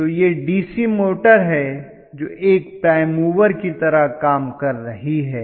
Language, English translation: Hindi, So, this is the DC motor which is acting like a prime mover